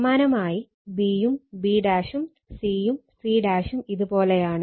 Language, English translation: Malayalam, And here also a, b, and c all are mass